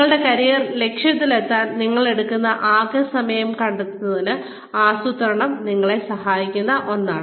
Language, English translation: Malayalam, The total time, you will take to reach, your career objective, is something that, planning will help you, understand